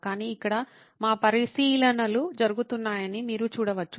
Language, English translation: Telugu, But, you can see that this is where our observations were going in